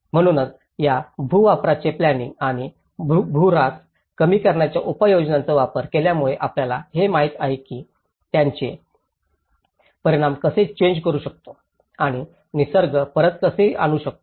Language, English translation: Marathi, So, this is where the land use planning and measures to reverse the land degradation, you know how we can reverse the impacts and how we can bring back the nature